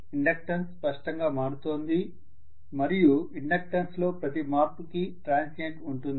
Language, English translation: Telugu, The inductance is changing clearly for every change in inductance there will be a transient, no doubt